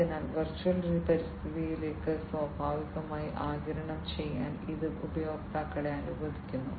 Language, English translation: Malayalam, So, it allows the users to get naturally absorbed into the virtual environment